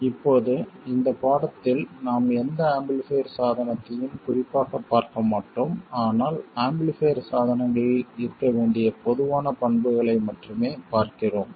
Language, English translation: Tamil, So, what we will do in this lesson is to see the looking at any amplifier device in particular but only about general characteristics that amplifier devices must have